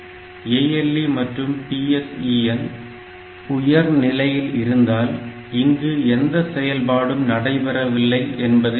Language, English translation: Tamil, So, this ALE is also high and PSEN bar line is also high to mean that no activity is taking place